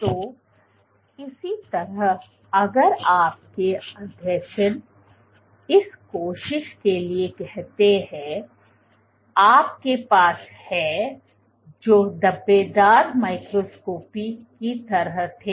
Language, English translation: Hindi, So, similarly if your adhesions let us say for this cell you had these adhesions which were like in speckle microscopy